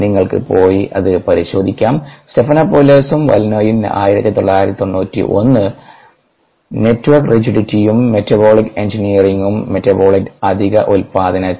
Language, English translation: Malayalam, take a located, Stephanopoulos and vallino, nineteen ninety one, network rigidity and metabolic engineering in metabolite over production